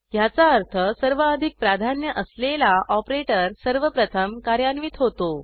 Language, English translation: Marathi, This means that the operator which has highest priority is executed first